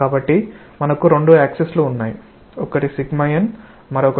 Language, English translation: Telugu, So, we are having two axis, one is sigma n and another is tau